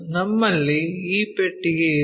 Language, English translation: Kannada, We have this box